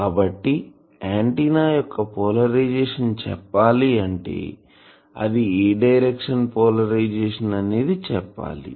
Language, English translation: Telugu, Now, please remember that polarisation of an antenna means that one thing is polarisation is different in different directions